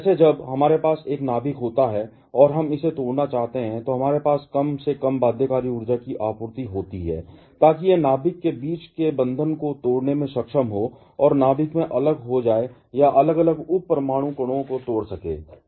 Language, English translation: Hindi, Like, when we have a nucleus and we want to break it, we have supply at least the binding energy so that it is able to break the bonds between the nucleons and break apart into the nucleons or separate sub atomic particles